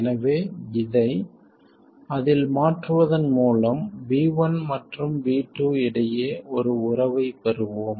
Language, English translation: Tamil, So by substituting this into that one, we will get a relationship between V1 and V2